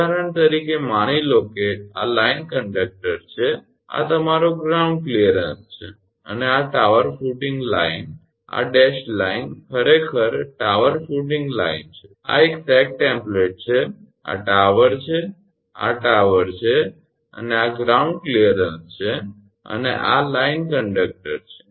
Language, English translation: Gujarati, For example, suppose this is the line conductor and this is your ground clearance and this is the tower footing line this dashed line actually is the tower footing line, this is a sag template, this is tower this is tower and this is the ground clearance and this is the line conductor